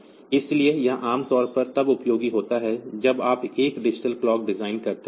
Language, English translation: Hindi, So, this is typically useful when you are suppose designing a digital watch